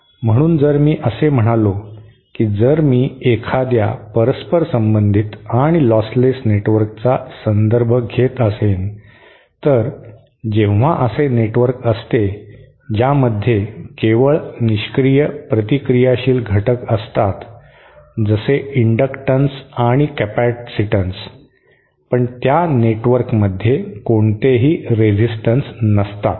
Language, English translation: Marathi, So if I say, if I am referring to a reciprocal and lostless network when it is like a network which contains only passive reactive elements like inductances and say some capacitates there are no resistances in that network